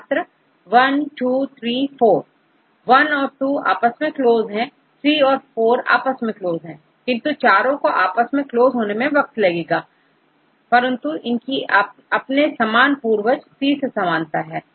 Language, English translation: Hindi, I and II, III and IV I and II are close to each other, and III and IV are close to each other and this I and II and then III and IV it takes time, but they have some similarity this is the common ancestor C and then all these things V